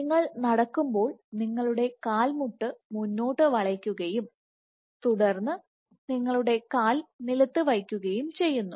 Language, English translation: Malayalam, So, just like you walk you put your foot forward and then you put your foot on the ground